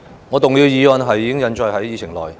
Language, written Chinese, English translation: Cantonese, 我動議的議案已印載在議程內。, The motion moved by me is set out in the Agenda